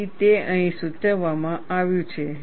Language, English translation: Gujarati, So, that is what is indicated here